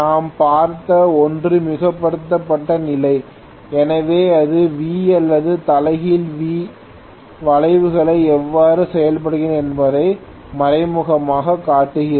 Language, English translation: Tamil, The original one what we saw was overexcited condition, so this is indirectly showing how V or inverted V curves works